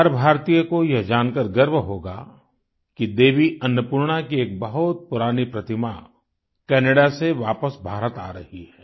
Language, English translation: Hindi, Every Indian will be proud to know that a very old idol of Devi Annapurna is returning to India from Canada